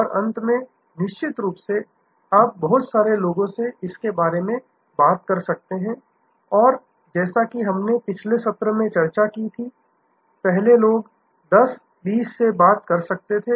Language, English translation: Hindi, And lastly, of course, you can talk to number of people and as we discussed in the previous session, earlier people used to talk to may be 10, 20